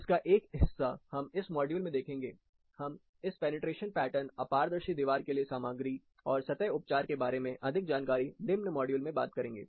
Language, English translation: Hindi, Part of it we will look at in this module, we will talk more about this fenestration pattern, wall material, and surface treatment in the following modules